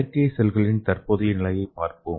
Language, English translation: Tamil, So let us see the present status of artificial cells